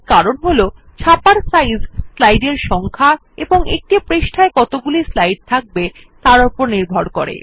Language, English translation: Bengali, This is because the size of the print is determined by the number of slides in the sheet and size of the sheet